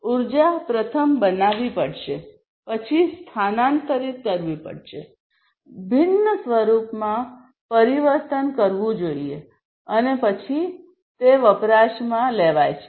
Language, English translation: Gujarati, So, basically the energy has to be first created, the energy is then transferred, transformed into a different form, and then gets consumed